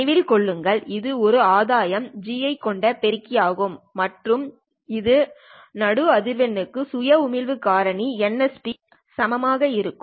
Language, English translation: Tamil, Remember, this is for an amplifier having a gain G and a center frequency FC which is equal to new, having a spontaneous emission factor NSP